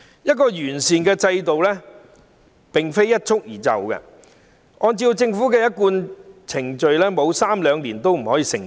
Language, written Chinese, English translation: Cantonese, 一個完善的制度不可能一蹴而就，按照政府的一貫程序，至少需時三兩年，方可成事。, A comprehensive system just will not come into being overnight . It will take at least two or three years for a sound system to be set up according to the Governments usual procedures